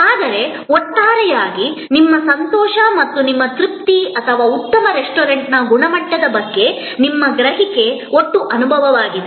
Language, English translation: Kannada, But, on the whole, your enjoyment or your satisfaction or your perception of quality of a good restaurant is the total experience